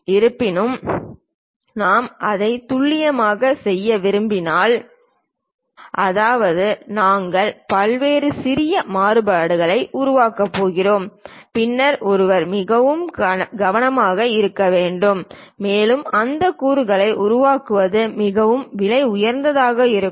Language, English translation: Tamil, However, if you want to really make it precise; that means, you are going to make various small variation, then one has to be at most care and to make that component it will be very costly